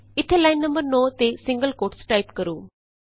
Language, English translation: Punjabi, Type single quotes at line no.9 here